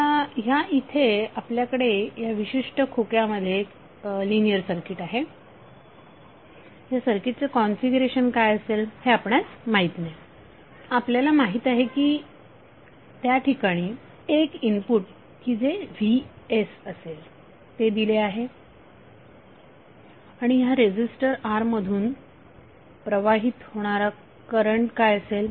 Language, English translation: Marathi, Here we have linear circuit which is inside this particular box we do not know what is the configuration of that circuit we know that some input is being applied that Vs and we are finding out what is the value of current flowing through the resistor R